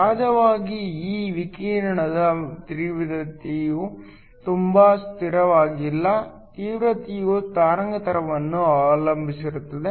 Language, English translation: Kannada, Of course, the intensity of this radiation is not too constant; the intensity depends upon the wavelength